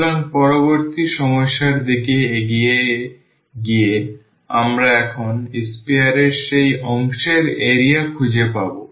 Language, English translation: Bengali, So, moving to the next problem we will find now the area of that part of the sphere